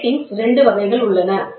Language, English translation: Tamil, There are 2 types of grating